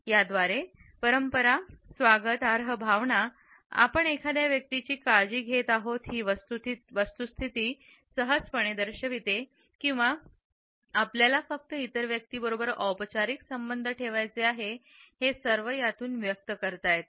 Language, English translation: Marathi, It also communicates tradition, a sense of welcome and can easily represent close bonding the fact that we care for a person or we simply want to maintain formal terms with the other person